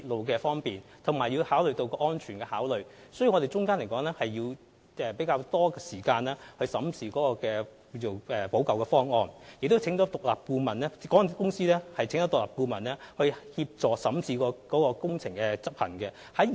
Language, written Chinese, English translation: Cantonese, 由於要同時考慮方便市民和鐵路安全問題，我們需要較多時間審視有關的補救方案，而且港鐵公司亦邀請了獨立顧問協助審視加固工程的執行細節。, We would thus need more time to study the remedial proposal in the light of convenience to passengers and the railway safety . In this respect MTRCL also commissioned an independent consultant to assist in examining the implementation details of the underpinning works